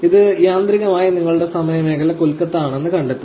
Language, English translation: Malayalam, So, it automatically detects your time zone to be Kolkata, India, we say continue